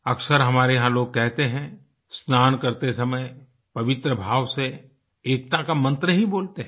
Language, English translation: Hindi, Often people in our country say or chant while bathing with a hallowed belief, the mantra of unity